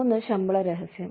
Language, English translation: Malayalam, One is pay secrecy